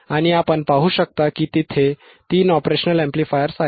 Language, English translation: Marathi, And you can see that you know there are three OP Amps